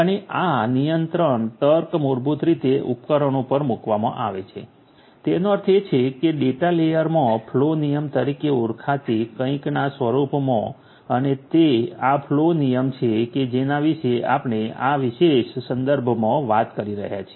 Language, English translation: Gujarati, And this control logic is basically placed at the devices; that means, in the data layer in the form of something known as the flow rule and it is this flow rule that we are talking about in this particular context